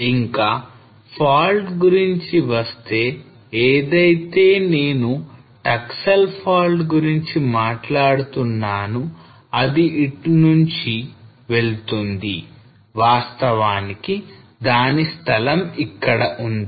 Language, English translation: Telugu, And the fault which I was talking about the Taksal fault goes through here actually this location